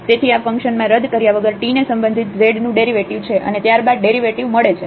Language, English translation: Gujarati, So, this is the derivative of z with respect to t without substituting into this function and then getting the derivative